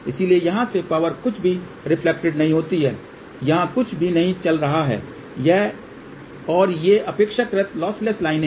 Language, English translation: Hindi, So, power from here nothing is reflected nothing is going over here and these are relatively lossless line